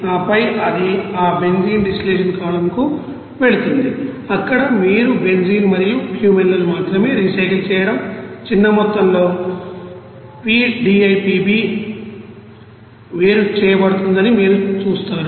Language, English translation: Telugu, And then it will be going to that benzene distillation column where you will see that only recycle benzene and Cumene and a small amount of p DIPB will be separated